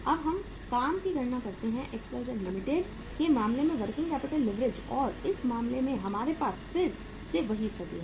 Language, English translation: Hindi, Now we calculate the working capital leverage in case of the XYZ Limited and in this case we have again the same situation